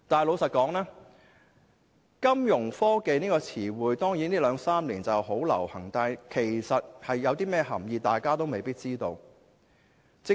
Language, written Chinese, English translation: Cantonese, 老實說，金融科技這個詞彙在這兩三年十分流行，但大家未必知道當中的涵意。, To be honest the term Fintech has become very popular these two to three years but we may not know its meaning